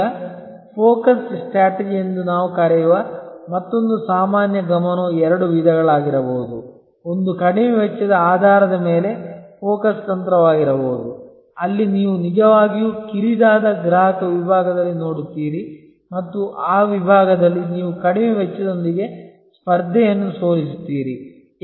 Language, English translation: Kannada, The focus can be of two types, one can be that focus strategy based on low cost, where you actually look at in narrow customer segment and in that segment you beat the competition with the lower cost